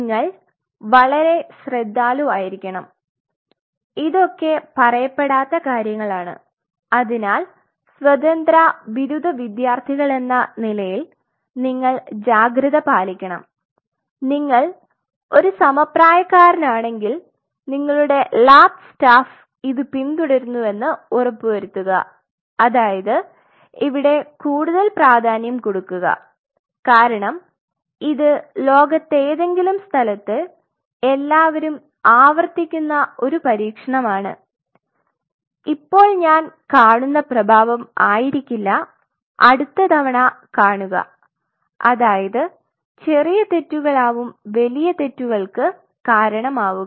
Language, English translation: Malayalam, So, please, be very careful these are things which are not being told, but as graduate students as I independent p i you have to be cautious you have to be very careful if you are a peer then you have to ensure that your lab staff follows this or if you are a graduate student that is, I mean much more important because this is your experiment which everybody wants to repeat at some place in the world and they should not come across come on I mean time this is the effect I see the next time I see another effect these small errors can cause very dearly ok